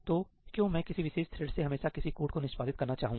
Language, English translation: Hindi, So, why would I want a particular thread to always execute some code